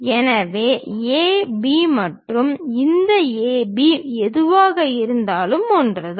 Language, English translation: Tamil, So, whatever AB and this AB, one and the same